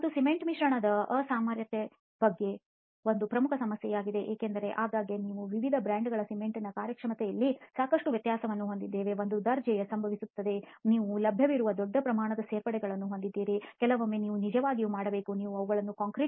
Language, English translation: Kannada, And cement admixture incompatibility is again a major issue because very often we have vast differences in the performance between different brands of cement which can actually be pertaining to the same grade itself and you have large range of additives which are available sometimes you have to really test these properly before you can use them well in the concrete